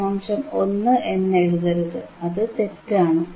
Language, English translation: Malayalam, 1, do not write minus 0